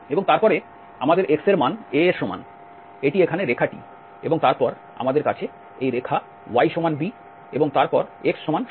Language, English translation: Bengali, And then we have x is equal to a, this is the line here, and then we have y is equal to b line and then x is equal to 0 line